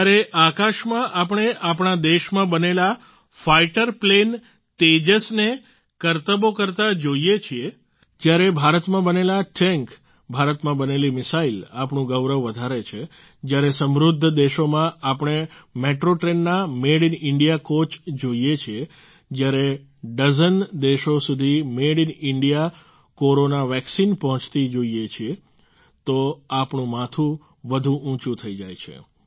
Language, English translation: Gujarati, When we see fighter plane Tejas made in our own country doing acrobatics in the sky, when Made in India tanks, Made in India missiles increase our pride, when we see Made in India coaches in Metro trains in wealthyadvanced nations, when we see Made in India Corona Vaccines reaching dozens of countries, then our heads rise higher